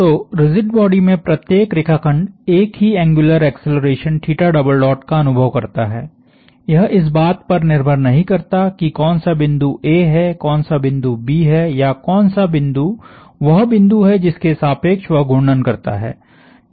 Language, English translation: Hindi, So, every line segment in the rigid body experiences is the same angular acceleration theta double dot, it does not depend on which point is my A which point is my B or which point is the point of, point about which it rotates